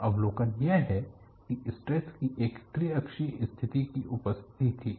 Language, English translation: Hindi, So, the observation is there was presence of a triaxial state of stress